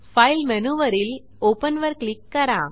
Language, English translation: Marathi, Go to File menu and click on Open